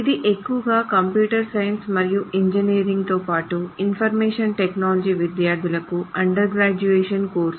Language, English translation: Telugu, This is mostly an undergraduate course for computer science and engineering as well as for information technology students